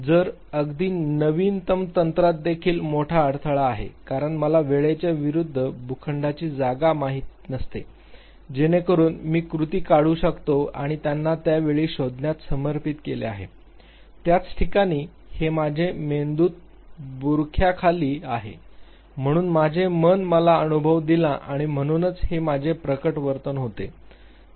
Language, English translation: Marathi, So, even the latest technique has a great impediment because it cannot know plot space versus time so that I extract the action and dedicated they find at this very time, at this very location this is what my brain under veined, this is why my mind made me experience and therefore, this is what my manifested behavior was